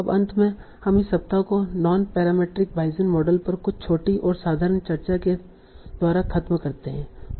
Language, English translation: Hindi, Now, finally we will wrap up this week by some simple discussion on non parametric Bayesian models